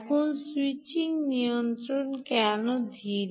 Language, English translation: Bengali, now why is the switching regulator slower